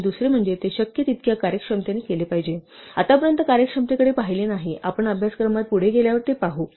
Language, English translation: Marathi, And secondly, it must do it in as efficient a way as possible; we are not looked at efficiency so far, we will look at it as we get further in the course